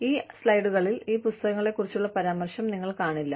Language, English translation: Malayalam, So, you will not see, references to this book, in these slides